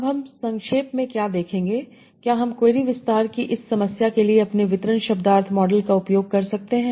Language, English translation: Hindi, So what we will see in brief can we use our distribution semantic models for this problem of query expansion